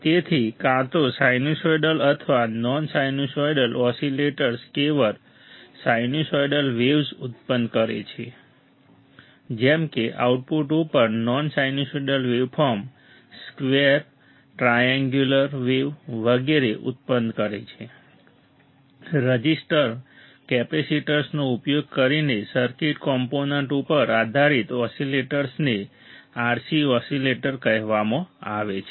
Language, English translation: Gujarati, So, either sinusoidal or non sinusoidal, all right, sinusoidal or non sinusoidal oscillators produced purely sinusoidal waveforms, right, at the output non sinusoidal produce waveforms like square triangular wave etcetera easy very easy, right, then based on circuit components oscillators using resistors capacitors are called RC oscillators right resistors R capacitors is RC oscillators